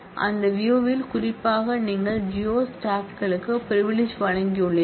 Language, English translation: Tamil, And on that view particularly you have given the privilege to the geo staff